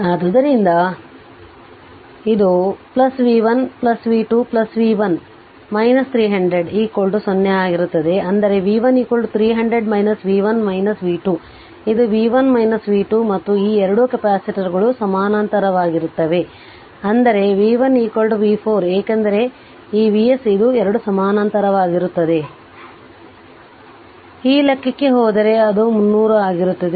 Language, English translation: Kannada, So, it will be plus v 1 plus v 2 plus v 3 minus 300 is equal to 0 ; that means, my v 3 is equal to your 300 minus v 1 minus v 2 right ah it is v 1 minus v 2 and this this 2 capacitors are in parallel; that means, v 3 is equal to v 4 right because this v these 2 are in parallel So, go to that ah that calculation